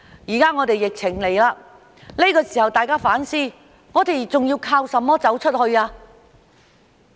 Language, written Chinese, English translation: Cantonese, 現在疫情來了，這個時候大家反思，我們還能靠甚麼走出去？, Now that amid the epidemic we have to rethink what else can we rely on to go global?